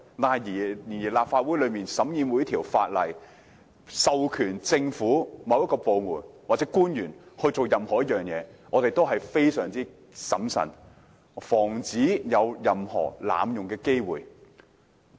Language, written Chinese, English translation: Cantonese, 不過，當立法會審議任何授權某個政府部門或官員進行一件事的法案時，我們是非常審慎的，以防出現濫用的機會。, But when the Legislative Council scrutinizes a bill which seeks to empower a certain government department or official to do something we are very prudent as we want to prevent any abuse of power